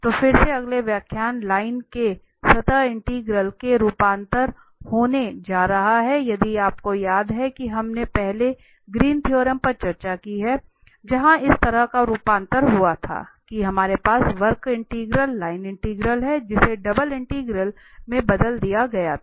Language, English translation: Hindi, So, the next lecture is going to be again the conversion from the line to the surface integral if you remember we have already discussed the Greens theorem, where such a conversion took place that we have the curve integral, the line integral and which was transformed to the double integral